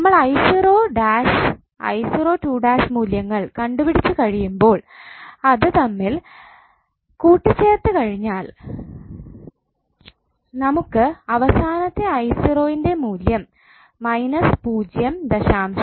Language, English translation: Malayalam, You have found the value of i0 dash and i0 double dash you just add the value, you will get final value of i0 that is minus of 0